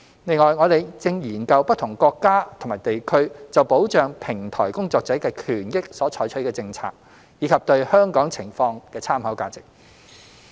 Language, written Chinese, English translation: Cantonese, 另外，我們正研究不同國家及地區就保障平台工作者的權益所採取的政策，以及對香港情況的參考價值。, Moreover we are currently looking into policies adopted by different countries and regions on protecting the rights and interests of platform workers and their reference values for Hong Kong